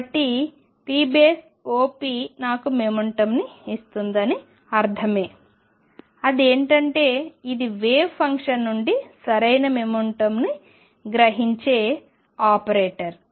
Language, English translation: Telugu, So, it does make sense that p operator gives me momentum; that means; this is an operator that extracts right the momentum out of a wave function